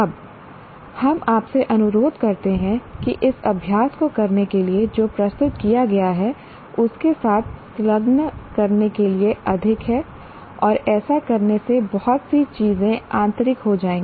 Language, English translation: Hindi, Now we request you again doing this exercise more to engage with what has been presented and by doing this many of these things will be internalized